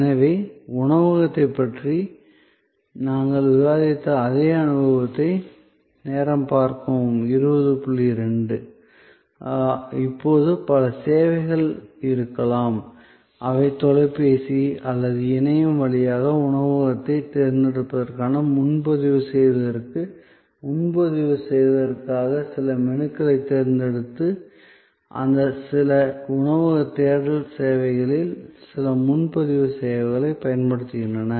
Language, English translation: Tamil, ) discussing about the restaurant, now there may be a number of services, which are happening over telephone or over internet for making reservation for selecting the restaurant for even making some pre selection of menus and so on by using some of those booking services, some of those restaurant search services